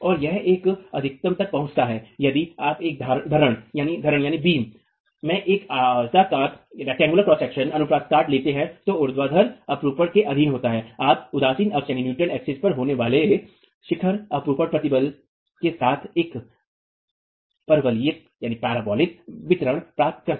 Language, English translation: Hindi, It reaches a maximum if you take a rectangular cross section in a beam that is subjected to vertical shear itself you get a parabolic distribution with the peak shear stress being at the neutral axis